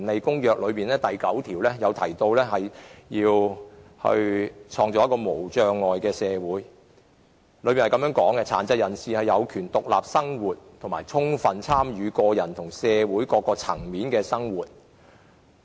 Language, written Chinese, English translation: Cantonese, 《公約》第九條提及要創造一個無障礙的社會，當中訂明殘疾人士應能夠獨立生活和充分參與生活的各個方面。, Article 9 of the Convention discusses the need to build a barrier - free community . It states that persons with disabilities should be able to live independently and participate fully in all aspects of life